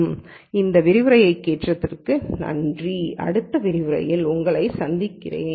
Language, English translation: Tamil, Thank you for listening to this lecture and I will see you in the next lecture